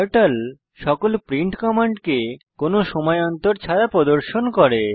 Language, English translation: Bengali, Turtle displays all print commands without any time gap